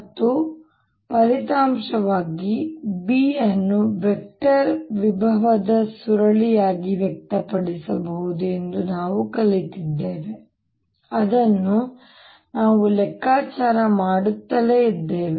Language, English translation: Kannada, and therefore, as a corollary, we've also learnt that b can be expressed as curl of a vector potential, which we kept calculating